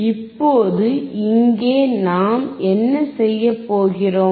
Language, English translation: Tamil, Now here what we will do